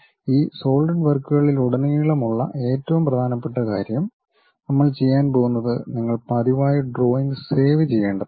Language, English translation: Malayalam, And the most important thing throughout this Solidworks practice what we are going to do you have to regularly save the drawing